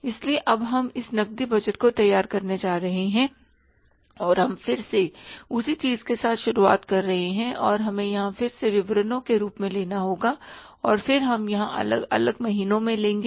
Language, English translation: Hindi, So now we are going to prepare this cash budget and we are starting with the again the same thing and we will have to take here as again the particulars and then we will take here the different months